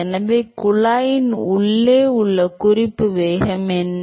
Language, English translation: Tamil, So, what is the reference velocity inside the tube